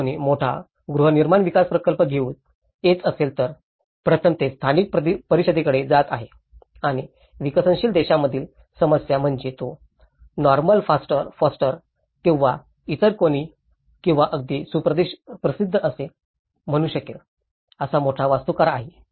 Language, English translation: Marathi, If someone is coming with huge housing development project, then the first place it is going to the local council and the problem in developing countries was he might be a big architect who is let’s say Norman Foster or any other or even some very well known architects like B